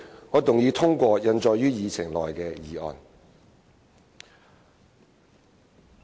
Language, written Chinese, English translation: Cantonese, 我動議通過印載於議程內的議案。, I move that the motion as printed on the Agenda be passed